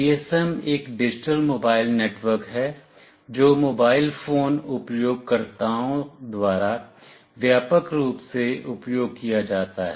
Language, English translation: Hindi, GSM is a digital mobile network that is widely used by mobile phone users